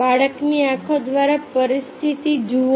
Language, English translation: Gujarati, look to the situation through the eyes of a child